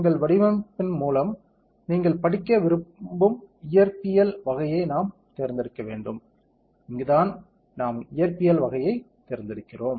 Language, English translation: Tamil, This is where we have to select the type of physics that you want to study through our design; this is where we select the type of physics